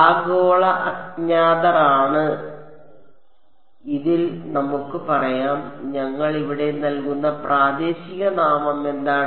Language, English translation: Malayalam, The global unknowns are U 1 and U 2 on this let us say and what is the local name that we will give for U 1 here